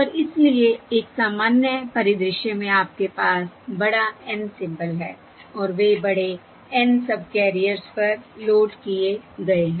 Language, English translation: Hindi, alright, And so, in a general scenario, you have capital N symbols and they are loaded on to the capital N subcarriers